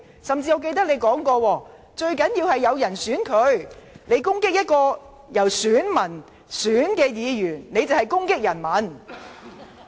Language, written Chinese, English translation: Cantonese, 我記得你甚至說過，最重要的是有選民投票給他們，如果攻擊由選民選出的議員，便是攻擊人民。, As I remember you even said that the most important thing was that some voters voted for them adding that attacking a Member elected by voters was tantamount to attacking the people